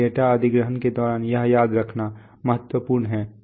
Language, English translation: Hindi, This is important to remember during data acquisition